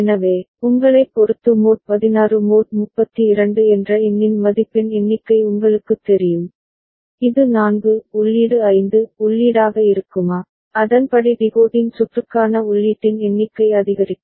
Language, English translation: Tamil, So, depending on in you know the number of the count value the mod 16 mod 32, whether a it will be 4 input 5 input, accordingly the number of input for the decoding circuit will increase